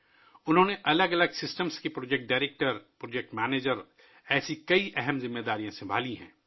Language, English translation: Urdu, They have handled many important responsibilities like project director, project manager of different systems